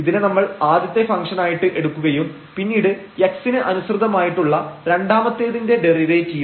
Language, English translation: Malayalam, So, that is the first derivative of this function with respect to x which is written here